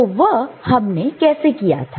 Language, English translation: Hindi, So, how did we do that